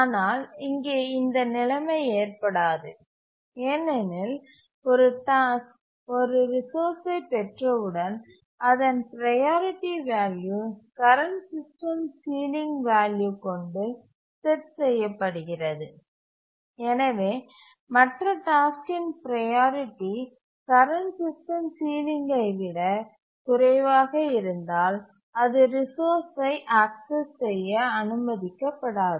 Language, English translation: Tamil, But here that situation cannot occur because once a task acquires resource, the priority value is set to the current system ceiling and therefore the other task will not be allowed to access the resource if its priority is less than the current system ceiling